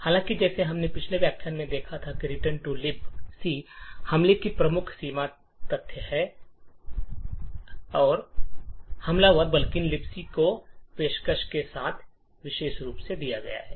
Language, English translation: Hindi, However, as we seen in the previous lecture the major limitation of the return to libc attack is the fact that the attacker is constrained with what the libc offers